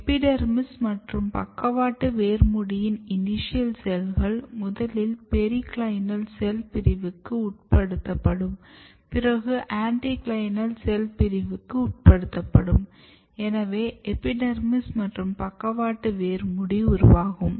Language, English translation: Tamil, So, if you look this is basically epidermis and lateral root cap what happens that the initials first undergo the process of pericycle cell division and then it undergo the process of anticlinal cell division and this essentially results in formation of epidermis and lateral root cap